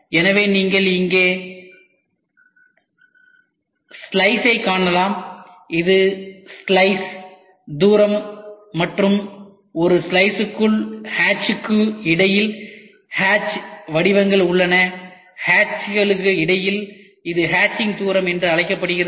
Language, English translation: Tamil, So, you can see here slice, this is the slice distance and inside a slice we have hatch patterns between the hatches, between the hatches it is called as hatching distance ok